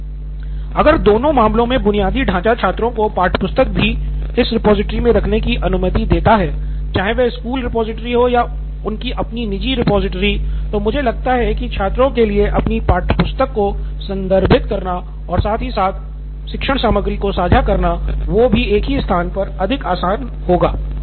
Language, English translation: Hindi, I think if the infrastructure in both the cases allows students to have the textbook also in this repository, be it a school repository or their own private one, then I think it is more easy for the students as well to refer their textbook and the shared content at the same place